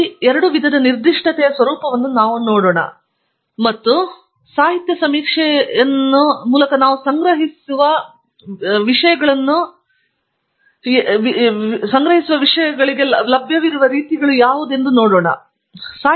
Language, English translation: Kannada, We will look into the format of these two types of specification and what kind of fields are available etcetera as we collect literature survey through the demonstration that I will do briefly later on